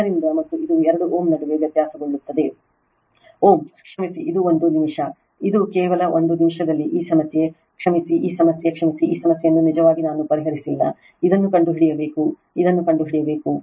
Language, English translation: Kannada, So, in that your what you call, and which is variable between 2 ohm sorry this one, just one minute this one actually your this problem sorry this problem actually I have not solved you have to find it out this is you have to find it out right